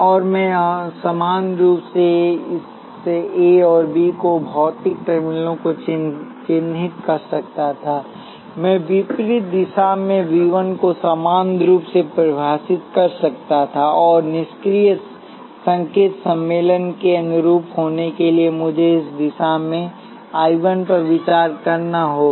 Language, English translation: Hindi, And I could equally well have defined this A and B mark the physical terminals, I could equally well have defined V 1 in the opposite direction, and to be consistent with passive sign convention, I have to consider I 1 in this direction